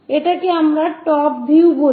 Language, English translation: Bengali, This is what we call top view